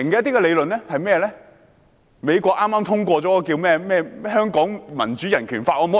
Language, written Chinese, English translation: Cantonese, 就是美國剛通過的《香港民主及人權法案》。, One is the Hong Kong Human Rights and Democracy Act which was just enacted in the United States